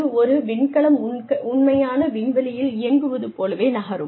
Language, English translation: Tamil, That moves like a real space shuttle, would move